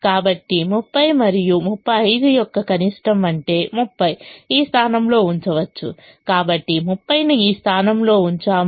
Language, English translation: Telugu, so minimum of thirty and thirty five, which is thirty, can be put in this position